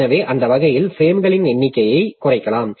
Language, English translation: Tamil, So that way we can reduce the number of frames